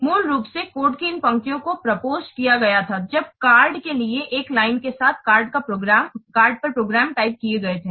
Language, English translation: Hindi, Basically, this line of code was proposed when programs were typed on cards with one line per card